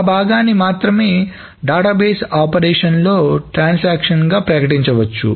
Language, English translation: Telugu, So only that part may be declared as a transaction within the database operations